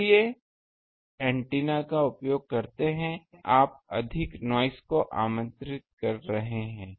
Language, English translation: Hindi, So, if you use a good antenna then [laughter] actually you are inviting more noise